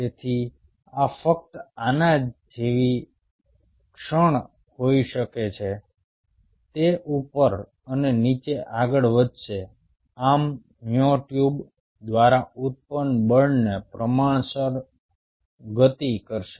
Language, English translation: Gujarati, so this could have a moment like this, only it will be moving up and down, thus will oscillate proportional, proportionally to the force generated by the myotubes